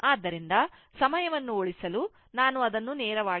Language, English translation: Kannada, So, that is what actually to save time, I have directly made it